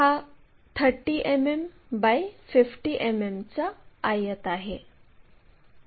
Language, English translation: Marathi, It is a 30 mm by 50 mm rectangle